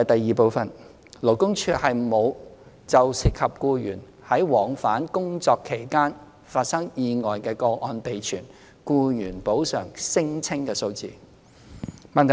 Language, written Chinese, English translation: Cantonese, 二勞工處沒有就涉及僱員在往返工作期間發生意外的個案備存僱員補償聲請數字。, 2 The Labour Department LD does not keep employees compensation claims statistics involving cases on accidents occurred to employees whilst travelling to and from work